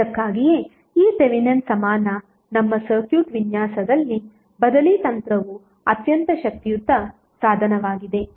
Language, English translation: Kannada, So that is why this Thevenin equivalent replacement technique is very powerful tool in our circuit design